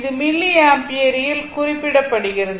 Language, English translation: Tamil, It is in milliampere